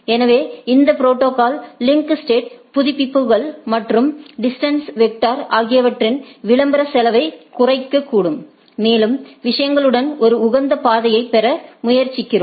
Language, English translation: Tamil, So, these protocols potentially reduce the cost of link state updates and distance vector advertisement and try to have a optimized path along the things